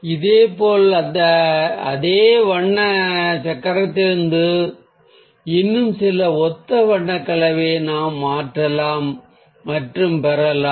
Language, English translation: Tamil, through this colour wheel, we are realising some interesting colour combinations